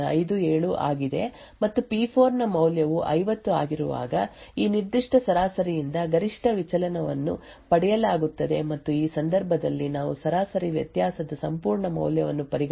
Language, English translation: Kannada, 57 and the maximum deviation from this particular mean is obtained when the value of P4 is 50 and in this case we consider the absolute value of the difference of mean which is and therefore it should be 6